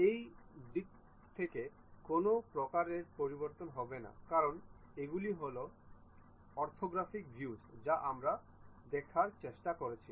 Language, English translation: Bengali, There will not be any variation in that direction because these are the orthographic views what we are trying to look at